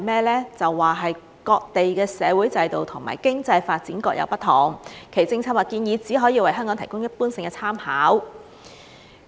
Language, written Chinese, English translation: Cantonese, 文件表示："各地的社會制度及經濟發展各有不同，其政策或建議只可為香港提供一般性的參考"。, The Government said in the paper that in view of the differences in the social system and economic development of various places their policy and proposal can only serve as a general reference for Hong Kong